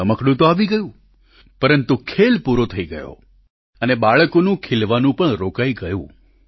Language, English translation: Gujarati, The toy remained, but the game was over and the blossoming of the child stopped too